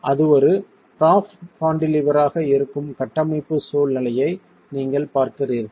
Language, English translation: Tamil, Therefore, you're looking at structural situation where it's a propped cantilever